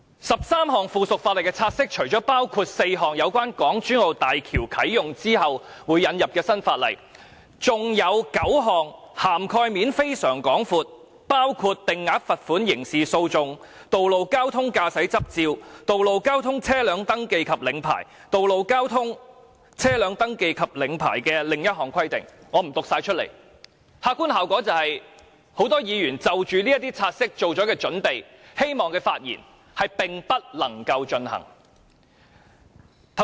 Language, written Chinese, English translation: Cantonese, 十三項附屬法例的察悉，除了包括4項有關港珠澳大橋啟用後會引入的新法例，還有9項涵蓋面非常廣闊，包括定額罰款、道路交通、道路交通、道路交通的另一項規定——我不全部讀出——客觀效果就是，很多議員已就這些察悉作準備，希望發言，但並不能夠進行。, Concerning these 13 pieces of subsidiary legislation apart from four new regulations which will be enforced upon the commissioning of the Hong Kong - Zhuhai - Macao Bridge there are nine pieces of subsidiary legislation with very wide coverage including regulations on Fixed Penalty Road Traffic Road Traffic and another regulation about Road Traffic ―I am not going to read them all out―the objective consequence is that for many Members who have made some preparation work on these pieces of subsidiary legislation and want to speak on them they will not be able to do so